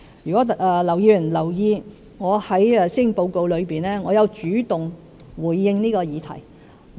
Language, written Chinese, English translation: Cantonese, 如果劉議員有留意，我在施政報告中已主動回應這項議題。, Mr LAU may have noticed that I have taken the initiative to respond to this issue in the Policy Address